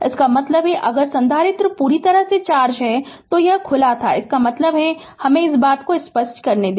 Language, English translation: Hindi, That means, if capacitor is fully charged and this was is open, that means just let me make your thing clear